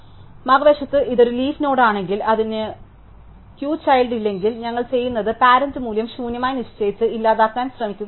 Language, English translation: Malayalam, If on the other hand, it is a leaf node it has no children, then what we do is we try to delete it by just setting the parents value to be nil